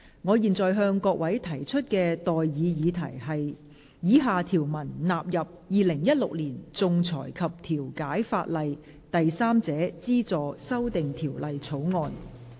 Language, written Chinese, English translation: Cantonese, 我現在向各位提出的待議議題是：以下條文納入《2016年仲裁及調解法例條例草案》。, I now propose the question to you and that is That the following clauses stand part of the Arbitration and Mediation Legislation Amendment Bill 2016